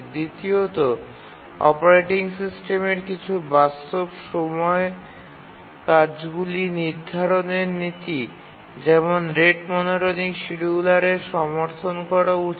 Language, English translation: Bengali, The operating system should support some real time task scheduling policy like the rate monotonic scheduler